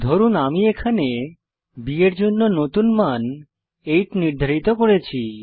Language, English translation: Bengali, Suppose here I will reassign a new value to b as 8